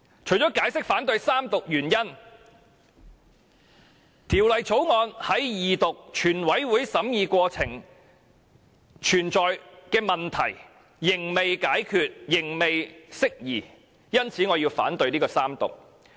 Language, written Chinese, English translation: Cantonese, 除了解釋反對三讀的原因外，《條例草案》在二讀、全體委員會審議過程的問題仍未解決、未能釋疑，因此我反對《條例草案》的三讀。, Besides explaining the reasons why I oppose the Bill for being read for the Third time I oppose to the Third Reading because questions raised during the Second Reading and Committee stage of the whole Council have not been resolved thus concerns have not been properly addressed